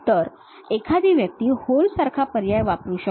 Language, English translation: Marathi, So, one can use a option like hole